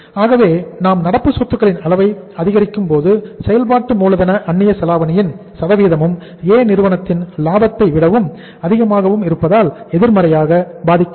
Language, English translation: Tamil, So when you are increasing the level of current assets, percentage of working capital leverage being higher the profitability of the firm A will be negatively impacted